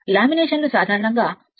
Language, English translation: Telugu, The laminations are usually 0